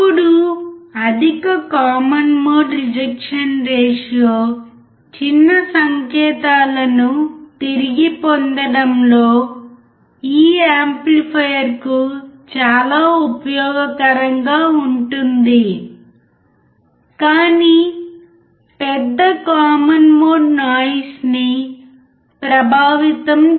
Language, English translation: Telugu, Now, the high common mode rejection ratio makes this amplifier very useful in recovering small signals, but large common mode effects noise